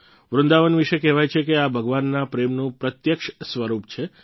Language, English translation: Gujarati, It is said about Vrindavan that it is a tangible manifestation of God's love